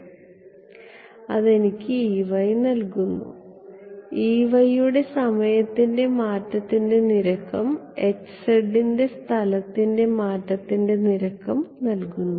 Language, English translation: Malayalam, So, that is giving me E y correct rate of change of E y in time and H z in space right